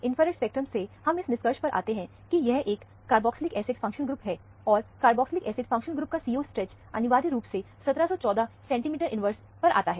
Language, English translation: Hindi, From the infrared spectrum, we come to the conclusion, there is a carboxylic acid functional group, and the CO stretch of the carboxylic acid functional group, essentially comes at 1714 inverse centimeter